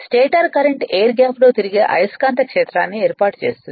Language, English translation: Telugu, The stator current set up a rotating magnetic field in the air gap right